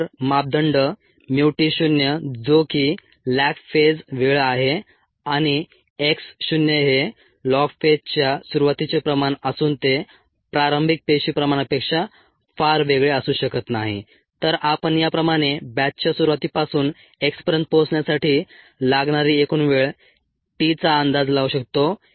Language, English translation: Marathi, if the parameters mu, t not, which is the lag phase time, and x naught, which is the concentration ah at the beginning of the log phase, which may not be very different from the initial cell concentration, we can predict the total time from the start of the batch t to reach x as this: it is one by mu lon of x by x naught